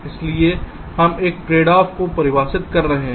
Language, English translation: Hindi, so we are defining a tradeoff